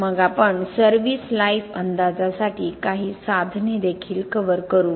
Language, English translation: Marathi, Then we will also cover some tools for service life estimation